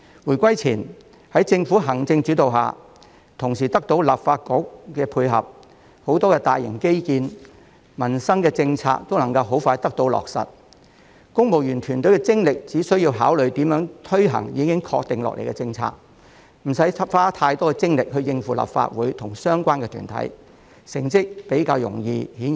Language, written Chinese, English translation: Cantonese, 回歸前，在政府行政主導下，同時得到立法局配合，眾多大型基建項目及民生政策皆能快速得到落實，公務員團隊只需集中精力考慮如何推行已確定的政策，無需花太多精力應付立法局及相關團體，成績顯而易見。, Before the reunification under the executive - led governance and also thanks to the cooperation of the former Legislative Council many major infrastructure projects and livelihood policies were implemented expeditiously . The civil service team had only to focus its energy and effort on considering how to implement the confirmed policies without needing to spend too much time on dealing with the former Legislative Council and related bodies . Yet the achievements were evident